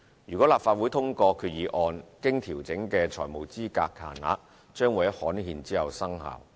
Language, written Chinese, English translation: Cantonese, 如立法會通過決議案，經調整的財務資格限額將於刊憲後生效。, Subject to the Legislative Councils approval of the resolution the adjusted financial eligibility limits will come into effect upon gazettal